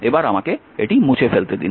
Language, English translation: Bengali, So, let me let me clean this one